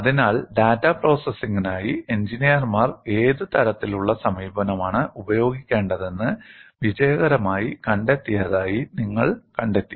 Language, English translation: Malayalam, So, you find engineers have successfully found out what kind of an approach they should use for data processing